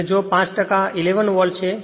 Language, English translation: Gujarati, And fi[ve] if a 5 percent is 11 volt